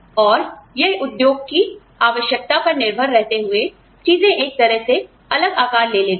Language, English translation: Hindi, And, depending on the needs of the industry, things sort of, take on a different shape